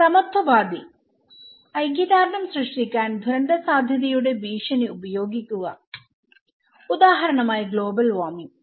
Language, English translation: Malayalam, Egalitarian; use the threat of catastrophic risk to generate solidarity, for example, global warming